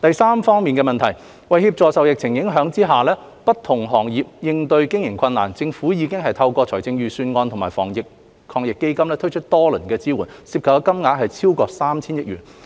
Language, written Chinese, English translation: Cantonese, 三為協助受疫情影響的不同行業應對經營困難，政府已透過財政預算案及防疫抗疫基金推出多輪支援措施，涉及金額合計超過 3,000 億元。, 3 To help different sectors impacted by the epidemic cope with operational difficulties the Government has provided multiple rounds of support measures through the Budget and the Anti - epidemic Fund totalling over 300 billion